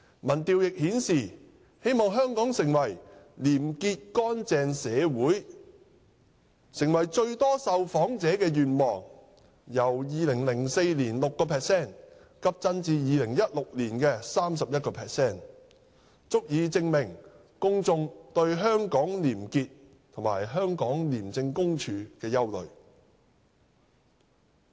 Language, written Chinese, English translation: Cantonese, 民調亦顯示，"希望香港成為廉潔乾淨社會"成為最多受訪者的願望，由2004年的 6% 急增至2016年的 31%， 足以證明公眾對香港廉潔及廉署的憂慮。, Results also show that to become a corruption - free society was the wish of most of the respondents with the percentage having increased drastically from 6 % in 2004 to 31 % in 2016 . This is proof of public concerns about probity in Hong Kong and ICAC